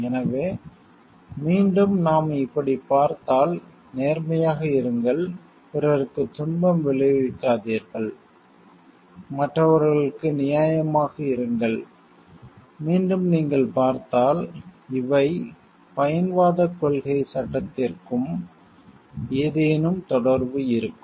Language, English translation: Tamil, So, again if we see like this be honest, do not cause suffering to others, and be fair to others, again if you see these have some link to the act utilitarianism concept also